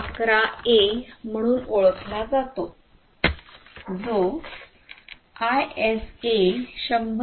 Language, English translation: Marathi, 11a, which belongs to the ISA 100